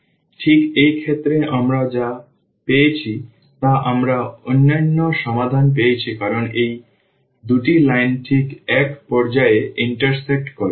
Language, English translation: Bengali, So, precisely in this case what we got we got the unique solution because these 2 lines intersect exactly at one point